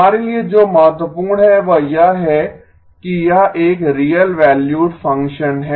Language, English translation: Hindi, What is important for us is that this is a real valued function